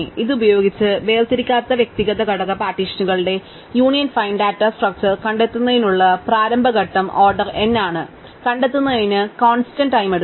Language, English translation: Malayalam, With this the initialization step of making the union find data structure of disjoint individual element partitions is order n find takes constant time